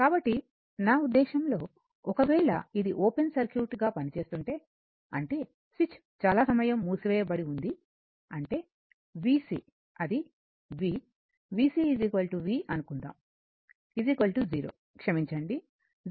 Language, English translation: Telugu, So, from the I mean if it acts as a open circuit; that means, the switch was closed for a long time; that means, your v c that is v, v c is equal to say v, right is equal to 0 minus sorry 0 minus is equal to this 100 volt right